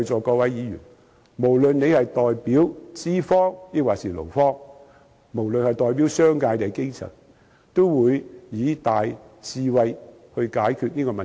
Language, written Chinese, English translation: Cantonese, 各位議員，無論你們是代表資方還是勞方，是代表商界還是基層，我懇請你們以大智慧來解決這個問題。, Members regardless of whether you represent employers employees the business sector or the grass roots I implore you to resolve this issue with great wisdom